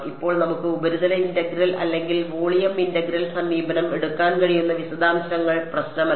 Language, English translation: Malayalam, Now the details we can take either the surface integral or the volume integral approach it does not matter ok